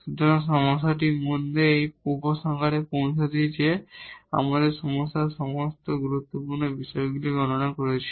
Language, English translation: Bengali, So, in this problem again to conclude that we have computed all the critical points of the problem